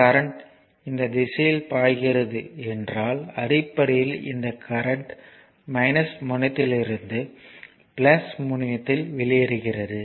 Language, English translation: Tamil, If current is flowing this direction, so basically this current entering to the minus terminal leaving the plus terminal